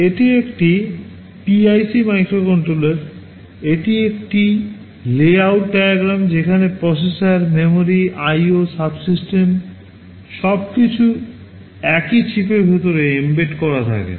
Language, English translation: Bengali, This is a PIC microcontroller, this is a layout diagram where processor, memory, IO subsystems everything is embedded inside the same chip